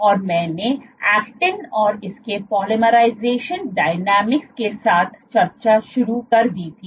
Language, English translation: Hindi, and I had started discussing with actin and its polymerization dynamics